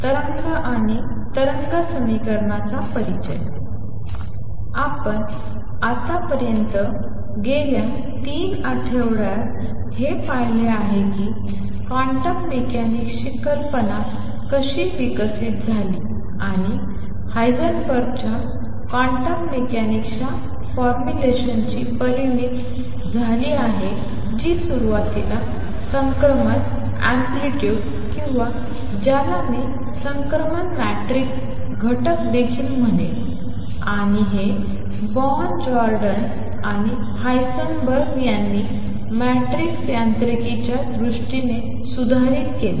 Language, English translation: Marathi, What we have done so far in the past 3 weeks is seen how the quantum mechanics idea developed and culminated with Heisenberg’s formulation of quantum mechanics which initially was written in terms of transition, amplitudes or, what I will also call transition matrix elements and this was reformulated then in terms of matrix mechanics by Born, Jordan and Heisenberg